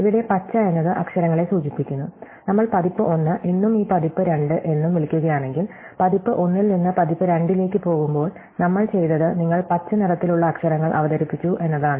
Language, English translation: Malayalam, So, here the green indicates letters which have been, so if we called as version 1 and this version 2, then in going from version one1 to version 2, what we have done is you are introduced the letters in green